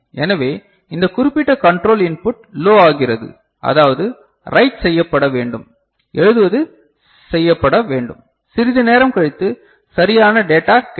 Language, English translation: Tamil, So, this particular control input goes low; that means, it is, write is to be done, writing is to be done and after some time a valid data becomes available